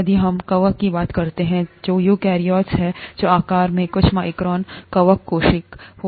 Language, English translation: Hindi, If we talk of fungi which are eukaryotes that could be a few microns in size, fungal cell